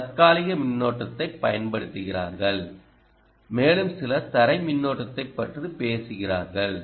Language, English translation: Tamil, so some people use ah quiescent current and some people talk about ground current